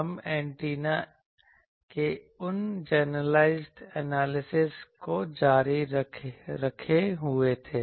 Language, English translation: Hindi, We were continuing that generalized analysis of Antennas